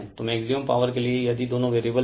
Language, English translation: Hindi, So, for maximum power if both are variable